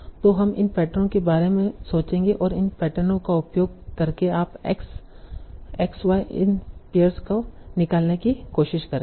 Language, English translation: Hindi, And that's how you will try to, so using these patterns, you will try to gather many such x, x, x, y, prime, pairs